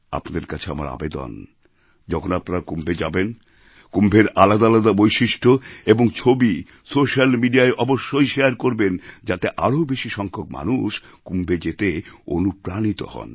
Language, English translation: Bengali, I urge all of you to share different aspects of Kumbh and photos on social media when you go to Kumbh so that more and more people feel inspired to go to Kumbh